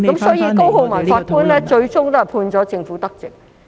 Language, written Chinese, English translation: Cantonese, 所以，高浩文法官最終判決政府得直。, So Judge COLEMAN finally ruled in favour of the Government